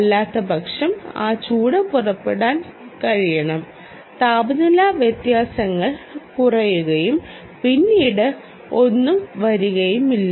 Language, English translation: Malayalam, it should be able to pull out that heat, otherwise temperature differentials will go down and then, ah, nothing will come